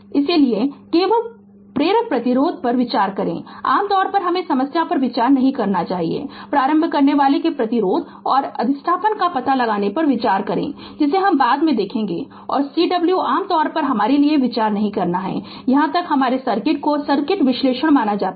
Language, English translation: Hindi, So, we only consider inductor resistance we generally not consider for some problem we also consider to find out the resistance and inductance of the inductor that we will see later and Cw generally we do not consider for our as far as our circuit is considered circuit analysis is concerned